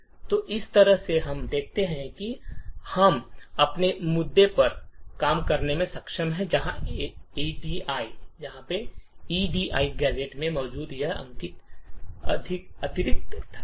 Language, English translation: Hindi, So in this way we see that we have been able to work around our issue where there is this additional push present in the add gadget that we have found